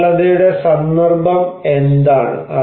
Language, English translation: Malayalam, What is the context of vulnerability